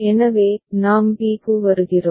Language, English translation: Tamil, So, then we come to b right